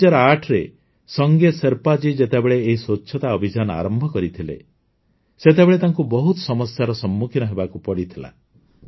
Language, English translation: Odia, When Sange Sherpa ji started this campaign of cleanliness in the year 2008, he had to face many difficulties